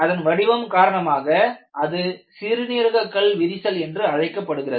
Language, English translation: Tamil, And because of the shape, this is known as a kidney shaped crack